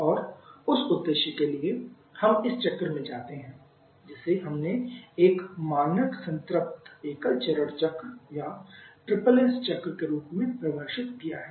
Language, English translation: Hindi, And for that purpose we move to this cycle which we have turned as a standard saturated single stage cycle or the SSS cycle